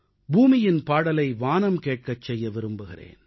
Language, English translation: Tamil, How I wish to make the sky listen to